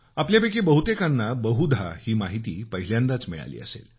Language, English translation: Marathi, Many of you may be getting to know this for the first time